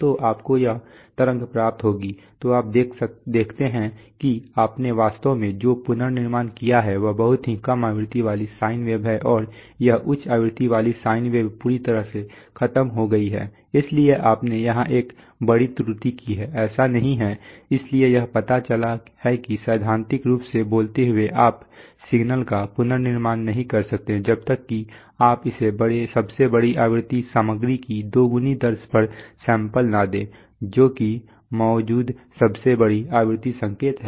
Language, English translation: Hindi, So you will get this wave, so you see that, what you actually reconstructed is a much lower frequency sine wave and this high frequency sine wave is completely lost, so you made a major error here, it is not, so it turns out that, theoretically speaking you cannot reconstruct a signal unless you sample it at twice the rate of the largest frequency content, that is largest frequency signal that is present